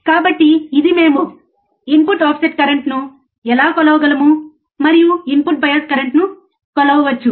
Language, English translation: Telugu, So, we this is how we can measure the input offset current, and we can measure the input bias current